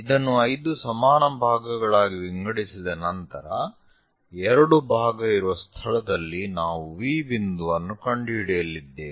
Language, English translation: Kannada, So, once it is divided into 5 equal parts, two parts location we are going to locate V point